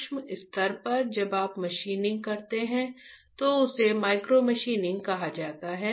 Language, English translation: Hindi, At micro level when you perform machining is called micro machining, alright